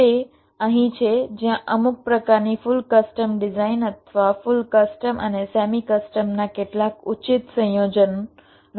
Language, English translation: Gujarati, it is here where some kind of full custom design or some judicious combination of full custom and same custom can be used